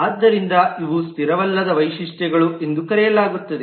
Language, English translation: Kannada, So these are called non static features